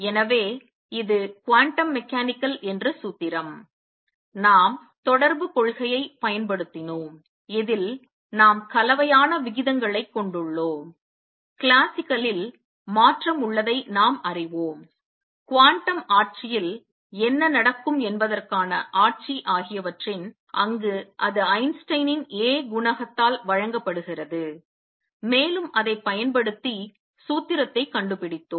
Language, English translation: Tamil, So, this is the formula which is quantum mechanical, we have used correspondence principle, in this we have mix rates of we know transition in classical, the regime to what would happen in the quantum regime, where it is given by the Einstein’s A coefficient and using that we have found the formula